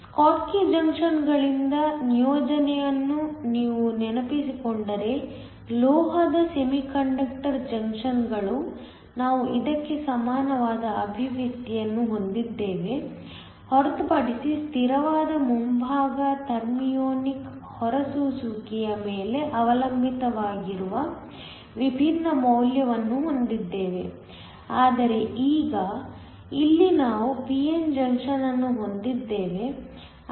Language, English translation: Kannada, If you remember the assignment from the schottky junctions, the metal semiconductor junctions we had a similar expression to this except that the constant out front had a different value which depended upon the thermionic emission, but now here we have a p n junction